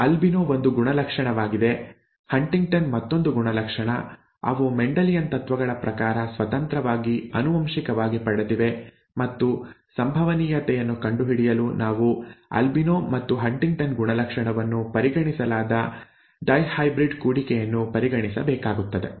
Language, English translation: Kannada, Albino is 1 characteristic, Huntington is another character, they are independently inherited according to Mendelian principles and to come up with the probability we need to consider a dihybrid cross in which albino character and HuntingtonÕs character are considered